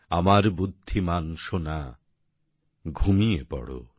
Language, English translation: Bengali, Sleep, my smart darling,